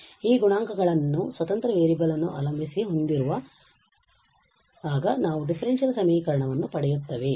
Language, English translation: Kannada, So, we will get a differential equation when we have these coefficients depending on the independent variable